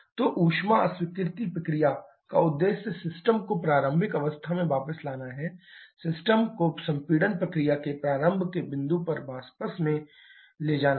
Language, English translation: Hindi, So, the objective of the heat rejection process is to take the system back to the initial state means, to take the system back to the state at the point of commencement of the compression process